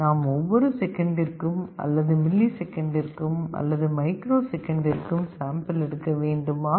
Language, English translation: Tamil, Should we sample once every second, once every millisecond, once every microsecond, what should be the best sampling rate